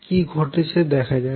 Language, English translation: Bengali, So, let us see what happens